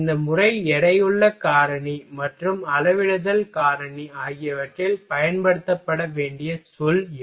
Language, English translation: Tamil, These are the term which is to be used in this method weighting factor and scaling factor